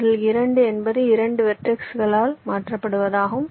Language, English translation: Tamil, lets say this: two means you replace this by two vertices